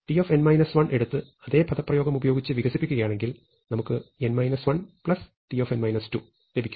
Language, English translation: Malayalam, But now, if I take t n minus 1 and expand it using the same expression, I get n minus 1 plus t n minus 2